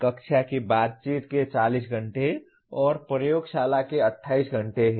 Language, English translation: Hindi, There are 40 hours of classroom interaction and 28 hours of laboratory